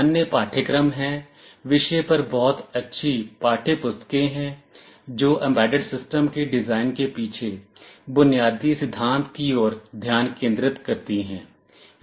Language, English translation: Hindi, There are other courses, there are very nice textbooks on the subject, which dwell with the underlying theory behind the design of embedded systems